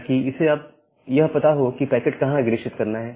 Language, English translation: Hindi, So, that it can find out that how to forward the packet to B